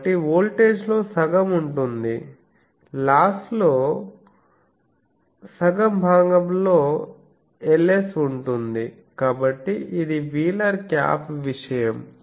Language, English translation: Telugu, So, half of the voltage will be there half of the loss will be in the Ls part so this is wheeler cap thing